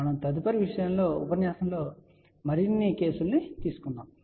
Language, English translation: Telugu, We will take more cases in the next lecture